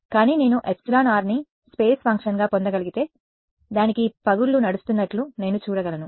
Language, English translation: Telugu, But if I can get epsilon r as a function of space, then I can see oh there is a crack running to it